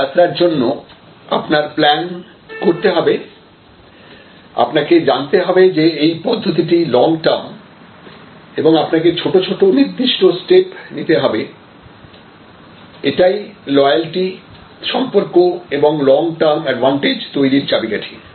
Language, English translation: Bengali, This journey you have to have a plan for this journey, you have to know that this is a long terms process and you have to take small definite steps to verses, this is the key to loyalty building, relationship building, long term advantage building